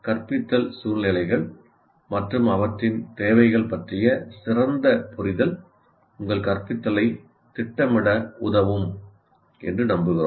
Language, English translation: Tamil, So, hopefully a better understanding of instructional situations and their requirements will help you to plan your instruction